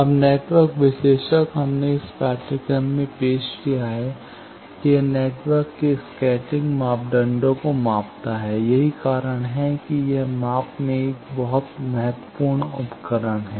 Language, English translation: Hindi, Now, network analyser we have introduced in this course that it measures scattering parameters of a network that is why it is a very important instrument in measurement